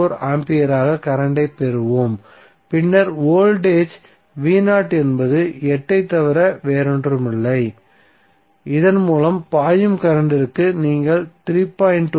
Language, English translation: Tamil, 4 ampere and then voltage V Naught is nothing but 8 into current flowing through this and you will get 3